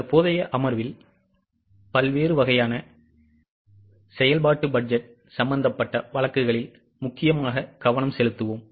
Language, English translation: Tamil, In the current session we will mainly focus on the cases involving different types of functional budget